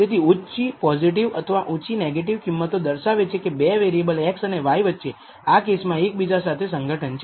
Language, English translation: Gujarati, So, the high negative value or high positive value indicates that the 2 variables x and y in this case are associated with each other